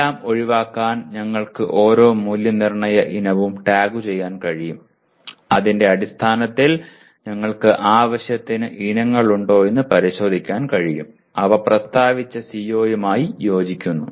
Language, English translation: Malayalam, To avoid all that we can tag each assessment item and based on that we can verify whether we have adequate number of items which are in alignment with the stated CO